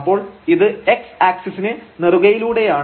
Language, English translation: Malayalam, So, we are taking a particular path along this x axis